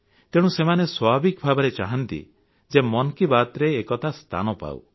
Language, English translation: Odia, And therefore it is their natural desire that it gets a mention in 'Mann Ki Baat'